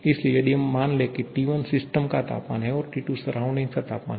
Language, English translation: Hindi, So, if suppose T1 is a system temperature, T2 is a surrounding temperature